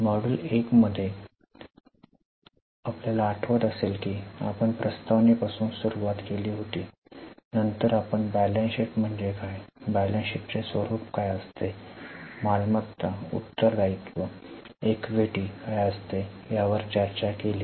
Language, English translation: Marathi, In module 1 if you remember we started with introduction then we discussed what is balance sheet, what is the format of balance sheet, what are the assets, liabilities, equity